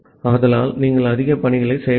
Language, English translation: Tamil, So, you are not doing much tasks